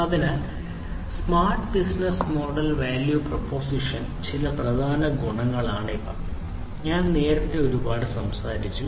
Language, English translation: Malayalam, So, these are some of the key attributes of the smart business model value proposition, which I have talked a lot earlier